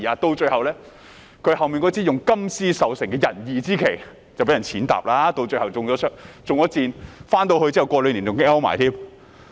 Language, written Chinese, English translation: Cantonese, 到最後，他那支用金絲繡成的仁義之旗遭人踐踏，身體還中箭，回去兩年後更身亡。, In the end his flag of benevolence and righteousness embroidered with gold thread was trampled underfoot and his body was even hit by an arrow . He died two years after going home